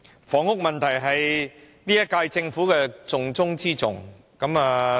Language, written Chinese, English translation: Cantonese, "房屋問題是本屆政府施政的重中之重"。, Tackling the housing problem is a top priority of the current - term Government and the departments concerned